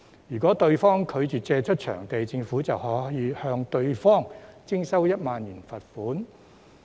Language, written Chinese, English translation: Cantonese, 如果對方拒絕借出場地，政府便可向對方徵收1萬元罰款。, If the other party refuses to do so the Government may impose a fine of 10,000 on it